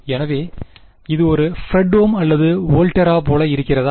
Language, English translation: Tamil, So, does it look like a Fredholm or Volterra